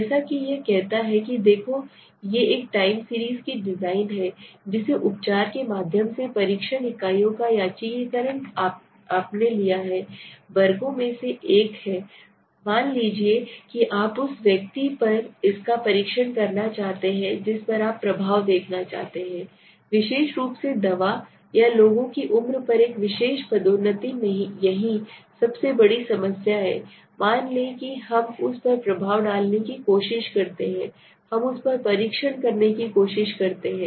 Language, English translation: Hindi, So as it says look these are the this is a time series design which you have taken right there is no randomization of the test units through the treatments so this is the biggest difficulty for example one of classes is suppose you want to test it on the person right you want to see the effect of a particular drug or a particular promotion on people's age right here the biggest problem is that suppose we try to effect on we try to test it on